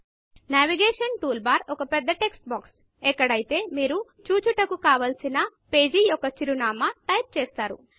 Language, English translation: Telugu, The Navigation bar is the large text box, where you type the address of the webpage that you want to visit